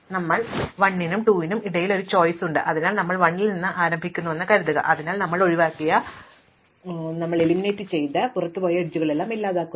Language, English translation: Malayalam, So, we have a choice between 1 and 2, so let us suppose we start with 1, so we start with 1 we eliminate it and now when we eliminate it we also eliminate the edges going out of it